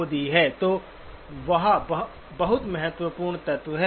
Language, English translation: Hindi, So that is the very important element